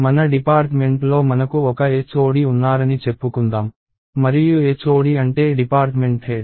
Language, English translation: Telugu, So, let us say we have, in our department we have a HOD and so the Head of the Department